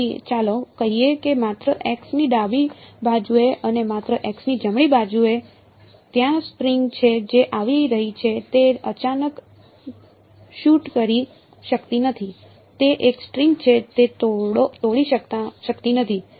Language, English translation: Gujarati, So, let us say just to the left of x prime and just to the right of x prime right there are string that is coming it cannot suddenly shoot up it is a string it cannot break